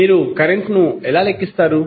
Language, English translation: Telugu, How will you calculate the current